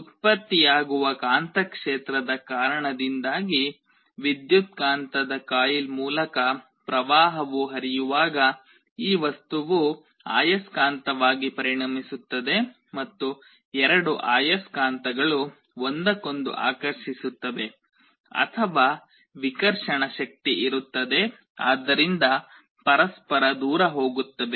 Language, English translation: Kannada, When current flows through the coil of the electromagnet due to the magnetic field produced this material becomes a magnet and the two magnets either attract each other or there will be a repulsive force there will move away from each other